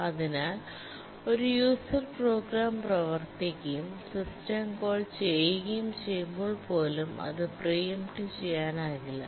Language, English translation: Malayalam, And therefore, even when a user program is running and makes a system call, it becomes non preemptible